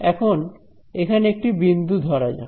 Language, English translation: Bengali, Now let us takes one point over here